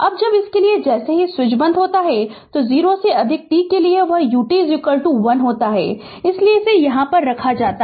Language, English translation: Hindi, Now, for when this as soon as the switch is closed, for t greater than 0 that U t is equal to 1 that is why this U t you put here here it is written